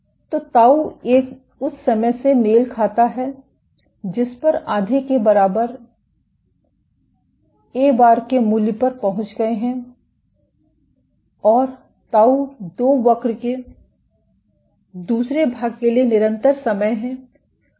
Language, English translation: Hindi, So, tau 1 corresponds to the time at which you have reached a value of A bar equal to half and tau 2 is the time constant for the second portion of the curve